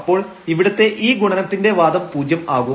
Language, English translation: Malayalam, So, this product here of the argument is 0